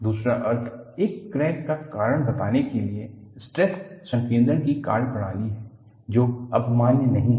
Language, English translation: Hindi, Other meaning is the methodology of stress concentration to ascribe to a crack, no longer is valid